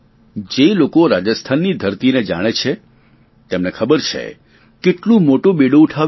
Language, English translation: Gujarati, Those who know the soil conditions of Rajasthan would know how mammoth this task is going to be